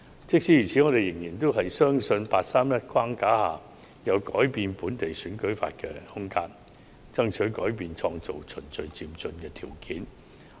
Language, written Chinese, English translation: Cantonese, 即使如此，我們仍然相信在"八三一框架"下有改變本地選舉法的空間，爭取改變，創造"循序漸進"的條件。, Having said that we believe there is room for us to amend local electoral legislation seek changes and create favourable conditions to achieve gradual and orderly progress under the framework of the 831 Decision